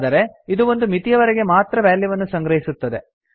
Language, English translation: Kannada, But it can only store values up to a limit